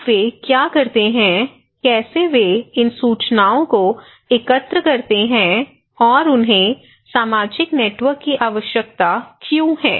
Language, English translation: Hindi, Now, what do they do, how they would collect these informations, and why do they need social networks